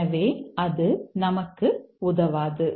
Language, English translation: Tamil, So, that doesn't help us